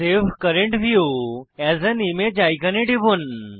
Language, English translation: Bengali, Click on the Save current view as an image icon